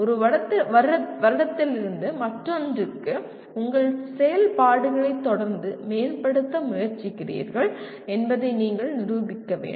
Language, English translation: Tamil, You have to demonstrate that from one year to the other you are making efforts to continuously improve your activities